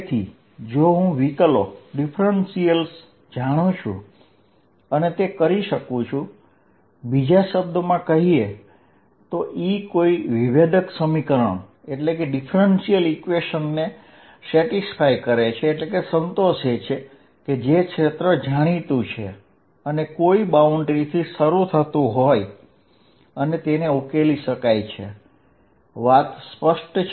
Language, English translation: Gujarati, So, if I know the differentials I can do that, in other words what I am saying is:Does E satisfy a differential equation that can be solved to find the field starting from a boundary where it is known